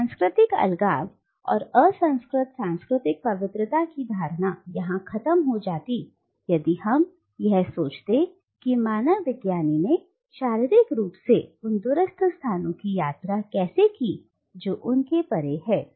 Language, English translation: Hindi, So the notion of cultural isolation and uncontaminated cultural purity crumbles down here if we think of how the anthropologist has physically travelled to that distant location which is his or her feet